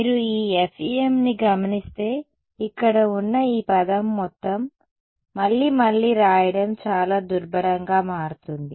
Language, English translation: Telugu, This if you notice this FEM this whole term over here becomes very tedious to write again and again